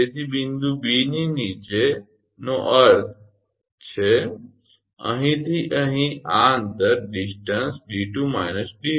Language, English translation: Gujarati, So, below point B means this distance from here to here this distance d 2 minus d 1